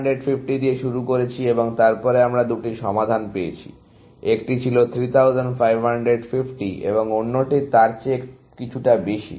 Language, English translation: Bengali, We started with 3550 and then, we got two solutions; one was 3550, and the other one was a bit more than that